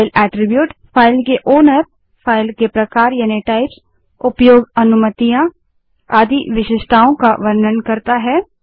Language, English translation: Hindi, File attribute is the characteristics that describe a file, such as owner, file type, access permissions, etc